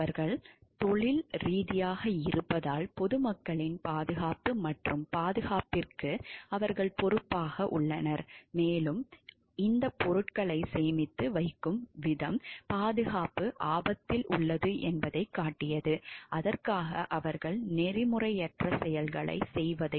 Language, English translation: Tamil, Because they are as a professions professional they are in charge of the safety and security of the public at large and the way that these things are stored showed like the safety is at stake and for that they are like they have done the unethical things and it is a act of negligence